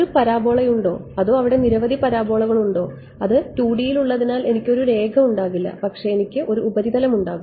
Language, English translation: Malayalam, Just to see is there one parabola and there are several parabolas what is there right and its in 2 D so, I will not have a line, but I will have a surface